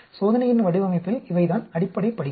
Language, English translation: Tamil, These are the basic steps in design of experiment